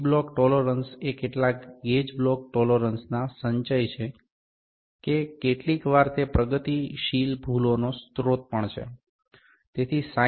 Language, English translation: Gujarati, The gauge block tolerance is some gauge block tolerance accumulation is sometimes the also the source of the progressive error